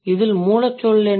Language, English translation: Tamil, So, what is the root word